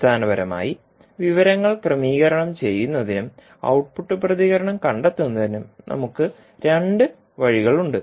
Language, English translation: Malayalam, So, basically we have two ways to process the information and a find finding out the output response